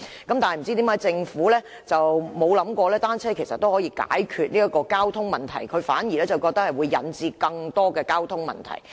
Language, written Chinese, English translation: Cantonese, 但是，不知為何政府沒有想過單車其實也可以解決交通問題，反而覺得會引致更多交通問題。, However for some reasons unknown the Government does not think cycling can solve transport problems but will instead create more transport problems